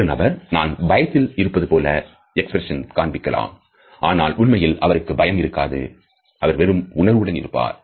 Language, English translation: Tamil, A person may show an expression that looks like fear when in fact they may feel nothing or maybe they feel a different emotion altogether